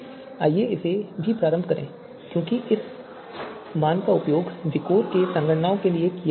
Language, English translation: Hindi, 5 so let us also initialize this here also because this value is going to be used in the you know computations in VIKOR